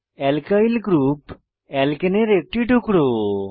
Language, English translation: Bengali, Alkyl group is a fragment of Alkane